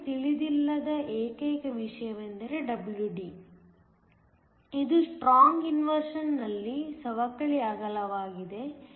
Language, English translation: Kannada, The only thing we do not know is WD, which is the depletion width at strong inversion